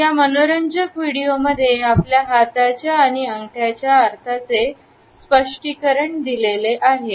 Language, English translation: Marathi, In this interesting video, we find that an explanation of the meanings of hand and thumbs is given